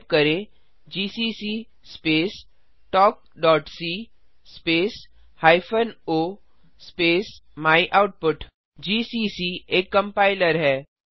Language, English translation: Hindi, Type gcc space talk.c space hyphen o space myoutput gcc is the compiler talk.c is our filename